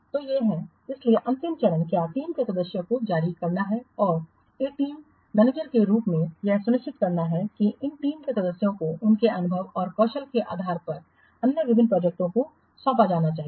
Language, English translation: Hindi, So these are the, so the final step is really the, what team members and as a team manager, ensure that these team members should be assigned to different projects depending upon their experience and skills